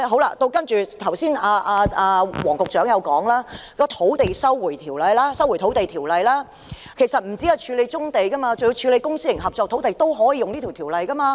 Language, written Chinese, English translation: Cantonese, 另一方面，黃局長剛才提到《收回土地條例》，其實除了處理棕地之外，處理公私營合作土地亦可以引用該條例。, On the other hand Secretary Michael WONG mentioned the Land Resumption Ordinance earlier . In fact apart from the handling of brownfields the Ordinance can also be invoked for handling public - private collaboration land development projects